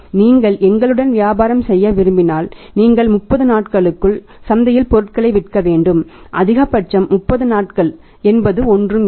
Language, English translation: Tamil, You have to; if you want to do the business with us you will have to sell the material in the market within a period of 30 days only that maximum is 30 days nothing else